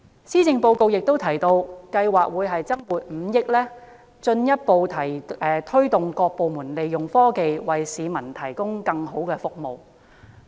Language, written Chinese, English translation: Cantonese, 施政報告亦提到政府計劃增撥5億元，進一步推動各部門利用科技，為市民提供更好的服務。, It is also mentioned in the Policy Address that the Government plans to allocate an additional 500 million to further promoting the use of technology by various departments to deliver better services to the public